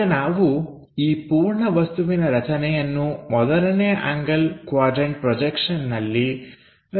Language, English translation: Kannada, Now let us construct this entire object using first angle first quadrant projection